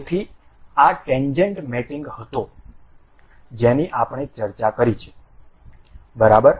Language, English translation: Gujarati, So, this was tangent mating that we have discussed, ok, ok